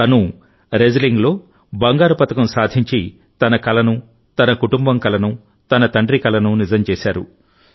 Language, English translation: Telugu, By winning the gold medal in wrestling, Tanu has realized her own, her family's and her father's dream